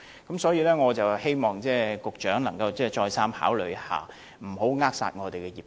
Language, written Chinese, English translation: Cantonese, 因此，我希望局長可以再三考慮，不要扼殺業界。, Therefore I hope the Secretary will think twice and not to stifle the industry